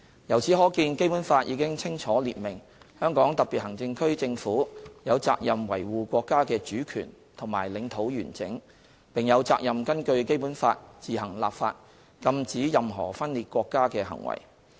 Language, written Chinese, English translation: Cantonese, 由此可見，《基本法》已清楚列明香港特別行政區政府有責任維護國家的主權和領土完整，並有責任根據《基本法》自行立法禁止任何分裂國家的行為。, As such the Basic Law has already prescribed clearly that the Government of the Hong Kong Special Administrative Region has the responsibility to safeguard our national sovereignty and territorial integrity as well as the responsibility to enact laws on its own to prohibit any act of secession in accordance with the Basic Law